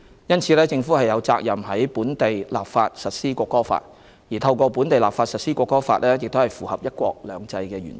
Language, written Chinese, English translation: Cantonese, 因此，政府有責任在本地立法實施《國歌法》，而透過本地立法實施《國歌法》符合"一國兩制"原則。, Therefore the Government is obliged to enact local legislation to implement the National Anthem Law and the implementation of the National Anthem Law by local legislation is consistent with the principle of one country two systems